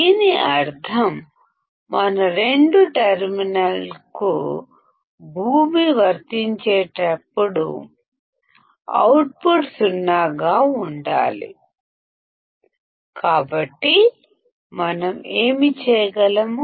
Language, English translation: Telugu, this means, that when we apply ground to both the terminals, the output should be 0; so, what can we do